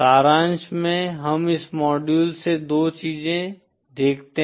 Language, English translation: Hindi, In summary we see 2 things from this module